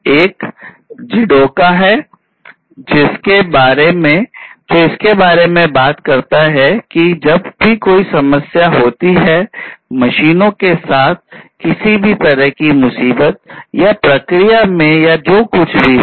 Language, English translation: Hindi, One is the JIDOKA, where, which talks about that whenever there is a problem, problem of any kind with the machines, or in the process, or whatever be it